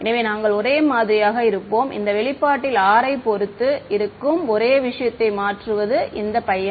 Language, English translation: Tamil, So, that we will remain the same the only thing that is changing the only thing that depends on r in this expression is this guy